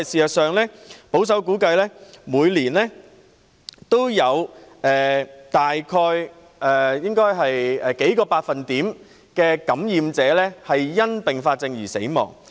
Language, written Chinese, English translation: Cantonese, 其實，保守估計，每年都有約數個百分點的感染者因併發症死亡。, As a matter of fact at a conservative estimate a few percent of those infected die of complications every year